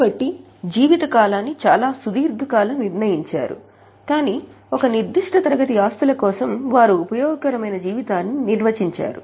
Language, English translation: Telugu, So, reasonably long range but for a particular class of assets they have defined some estimated useful life